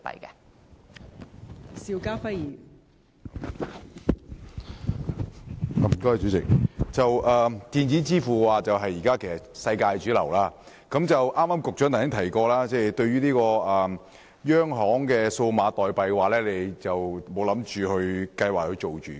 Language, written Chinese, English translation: Cantonese, 代理主席，現時電子支付是世界的主流，局長剛才提到，就央行發行數碼貨幣，當局現時仍未有計劃發行。, Deputy President electronic payment has now become a major global trend . As mentioned by the Secretary just now the authorities still have no plan to issue CBDC at this stage